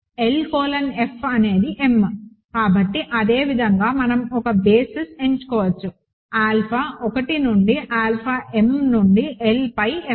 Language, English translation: Telugu, L colon F is m, so similarly we can choose a basis, alpha 1 through alpha m of L over F